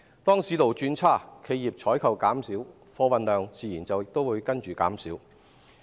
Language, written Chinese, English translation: Cantonese, 當市道轉差，企業採購減少，貨運量自然亦隨之減少。, When the market deteriorates corporate procurement will decrease and so will freight volumes naturally